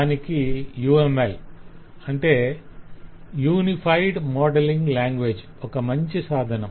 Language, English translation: Telugu, uml, or unified modelling language, is such a vehicle